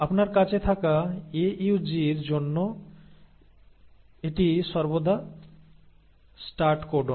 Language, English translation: Bengali, And for the AUG you have, this is always the start codon